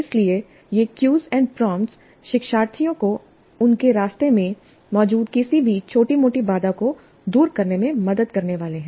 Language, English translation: Hindi, So these cues and prompts are supposed to help the learners overcome any minor stumbling blocks which exist in their path